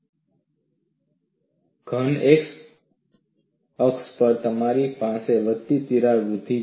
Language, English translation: Gujarati, On the positive x axis, you have incremental crack growth